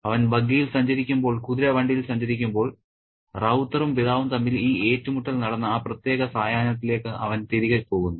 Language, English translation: Malayalam, And as he travels in the buggy, in the horse cart, in the horse carriage, he goes back in time to that particular evening when there was this clash between Ravta and his father